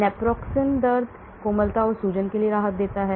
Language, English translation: Hindi, Naproxen relieves pain, tenderness, swelling